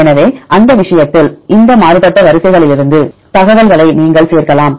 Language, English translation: Tamil, So, in that case you can include the information from these divergent sequences